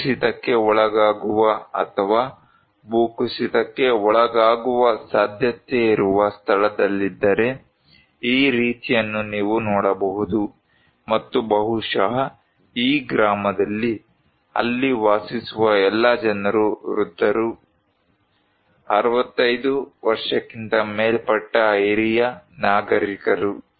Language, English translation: Kannada, If in a place that is prone to landslides or potentially to have a landslide, like this one you can see and maybe in this village, the all people living there are old people; senior citizens above 65 years old